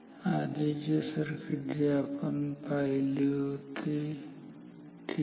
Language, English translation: Marathi, The previous circuit which we have sinned ok